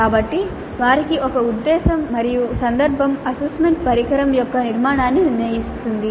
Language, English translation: Telugu, So, they have a purpose and a context and that will determine the structure of the assessment instrument